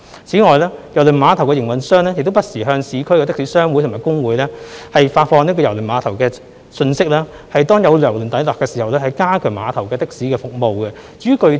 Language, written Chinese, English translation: Cantonese, 此外，郵輪碼頭的營運商亦不時向市區的士商會和工會發放郵輪碼頭的信息，以便當有郵輪抵達時可加強碼頭的的士服務。, In addition the Cruise Terminal operator also disseminates from time to time information of the Cruise Terminal to urban taxi associations and trade unions with a view to strengthening taxi services at the terminal upon the arrival of a cruise vessel